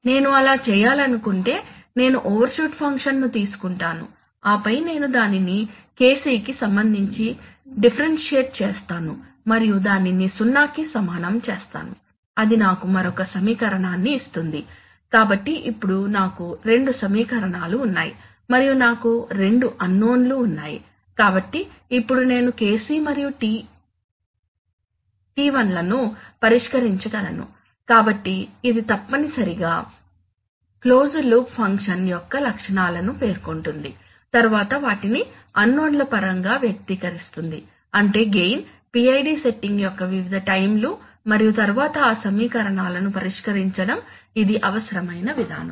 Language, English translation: Telugu, So if I want to do that then, I will, I will take the overshoot function and then I will differentiate it with respect to KC and then set it to zero that will give me another equation, so now I have two equations and I have two unknowns, so now I can solve for KC and TI so you see, so it is essentially stating properties of the closed loop function then expressing them in terms of the unknowns, that is the gain various times of the PID setting and then solving those equations, this is the, this is the essential procedure